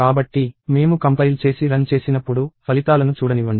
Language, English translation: Telugu, So, when I compile and run, let me see the results